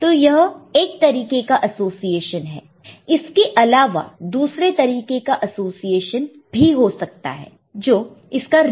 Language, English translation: Hindi, So, this is one way of association there could be other way of association is just its reverse